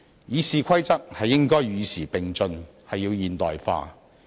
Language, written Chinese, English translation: Cantonese, 《議事規則》應該與時並進，要現代化。, RoP should be kept abreast of the times and be modernized